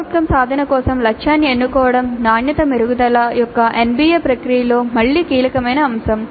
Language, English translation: Telugu, This selecting the target for CO attainment is again a crucial aspect of the NBA process of quality improvement